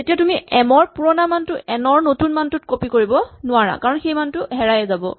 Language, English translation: Assamese, So, you cannot copy the old value of m into the new value of n because you have lost it